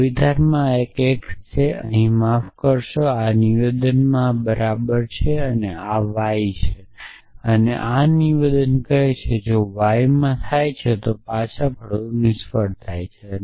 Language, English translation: Gujarati, So, this x in this statement here sorry this is well in this statement and this is y and this statement says that if var occurs in y then return fail essentially